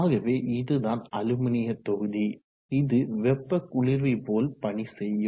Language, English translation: Tamil, So this is the aluminum block which will act like a heat sink